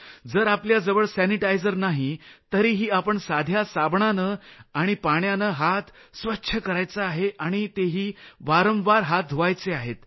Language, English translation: Marathi, If you do not have sanitisation, you can use simple soap and water to wash hands, but you have to keep doing it frequently